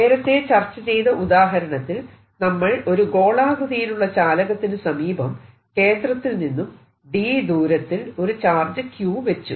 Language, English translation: Malayalam, the example we solve in the previous lecture was: taken a conducting sphere and put charge q at a distance d from it centre